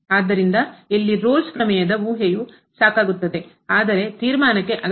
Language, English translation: Kannada, So, here the hypothesis of the Rolle’s Theorem are sufficient, but not necessary for the conclusion